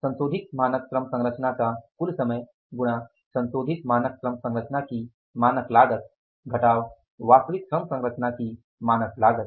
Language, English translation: Hindi, Standard cost of revised standard cost of revised standard composition minus standard cost of standard cost of actual labor composition